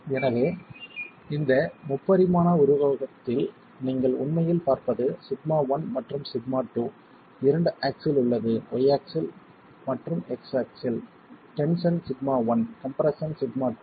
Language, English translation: Tamil, So, what you can actually see in this three dimensional figure is sigma 1 and sigma 2 as the 2 axis, the y axis and the x axis, sigma 1 in tension, sigma 2 in compression